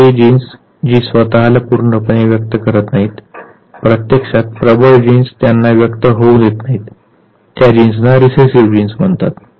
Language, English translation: Marathi, Whereas the genes which do not allow itself to get to expressed completely; basically the dominant gene does not allow them to express those genes are called Recessive Genes